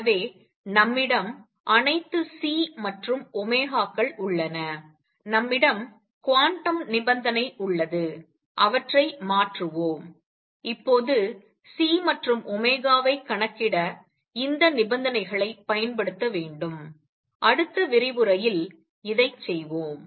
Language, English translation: Tamil, So, we have all the C ns and omegas, we have the quantum condition transfer them and now we need to apply these conditions to calculate C and omega which we will do in the next lecture